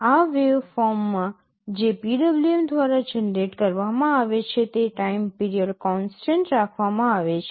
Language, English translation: Gujarati, In this waveform which is being generated by PWM the time period is kept constant